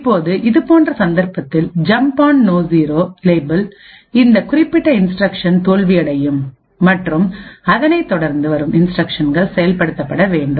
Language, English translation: Tamil, Now in such a case jump on no 0 label so this particular instruction would fail and the instruction that follows needs to be executed